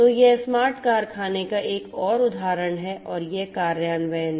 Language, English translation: Hindi, So, this is another example of smart factory and it is implementation